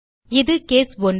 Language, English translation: Tamil, This is case 1